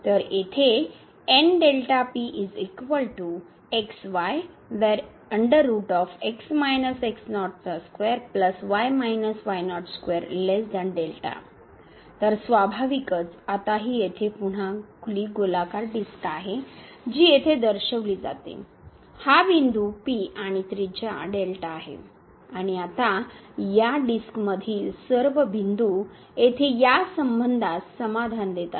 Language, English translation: Marathi, So, naturally now this one here is again open circular disc which is represented here; that is the point P and the radius here is delta and now all the points here in this disk satisfies this relation here